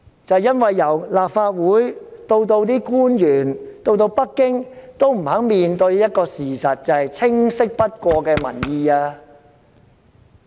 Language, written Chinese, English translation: Cantonese, 正因為由立法會到政府官員、北京也不肯面對一個事實，便是清晰不過的民意。, Why will it be doomed? . It is because from the Legislative Council to government officials or to the Beijing authorities no one is willing to face the fact namely the crystal clear public opinions